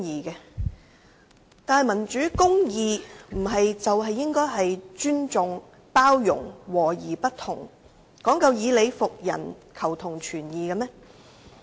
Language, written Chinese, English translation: Cantonese, 然而，民主公義不是講求尊重、包容、和而不同、以理服人和求同存異嗎？, However democracy and justice should be built on respect inclusiveness agreeing to disagree convincing others with reason and seeking common ground while reserving differences shouldnt they?